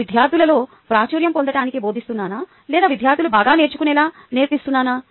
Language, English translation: Telugu, am i teaching to become popular among students or am i teaching so that students learn better